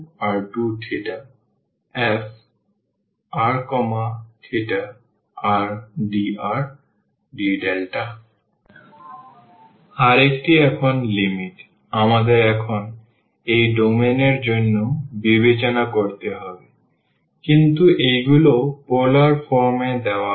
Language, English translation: Bengali, Ano[ther] now the limits we have to now consider for this domain, but these are given in the polar form